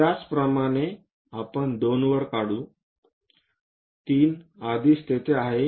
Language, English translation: Marathi, Similarly, we will draw at 2; 3 is already there